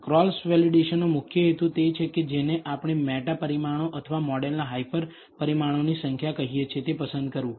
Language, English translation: Gujarati, The main purpose of cross validation is to select what we call the number of meta parameters or hyper parameters of a model